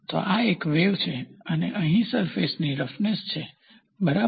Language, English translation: Gujarati, So, this is a wave and here is the surface roughness, ok